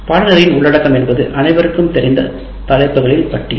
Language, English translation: Tamil, And now content of the course, this is the list of topics which everybody is familiar with